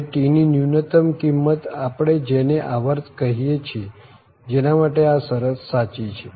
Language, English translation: Gujarati, And the smallest value of t this capital T which we are calling period for which this equality holds